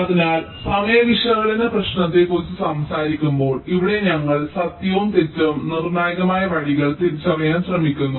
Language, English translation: Malayalam, so talking about the timing analysis problem, here we are trying to identify true and false critical paths